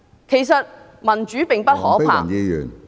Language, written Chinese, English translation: Cantonese, 其實民主並不可怕......, In fact democracy is nothing terrible